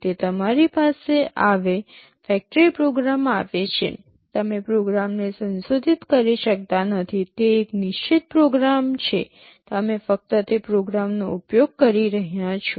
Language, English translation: Gujarati, It comes to you factory programmed, you cannot modify the program, it is a fixed program system you are only using that program